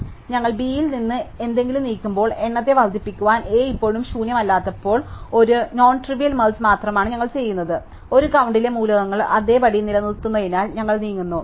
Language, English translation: Malayalam, So, only we are doing an nontrivial merge that is when we are moving something from B, when A is still not empty do we increment the count, we are moving because we are run out the elements in a count to remains these same